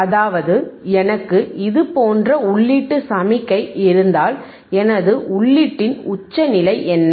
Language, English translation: Tamil, tThat means, if I have input signal right like this, what is my in peak of the input